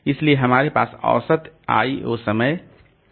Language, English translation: Hindi, So, that is the average I